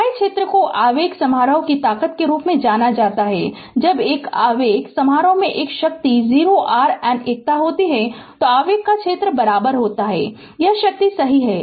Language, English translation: Hindi, The unit area is known as the strength of the impulse function and when an impulse function has a strength other then unity, the area of the impulse is equals to it is strength right